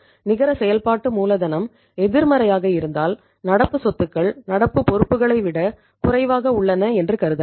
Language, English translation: Tamil, If the net working capital is negative so you can say current assets are less than the current liabilities